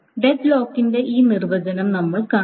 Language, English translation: Malayalam, We will see this definition of deadlock, etc